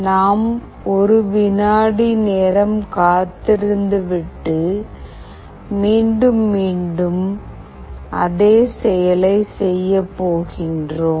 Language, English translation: Tamil, We are waiting for 1 second and again we are doing the same thing repeatedly